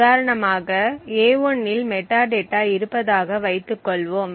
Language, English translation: Tamil, So, for example for the chunk of memory a1 the metadata is present